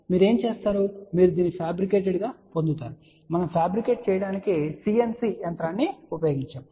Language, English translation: Telugu, What you do you actually get it fabricated let us say we had use cnc machine to do the fabrication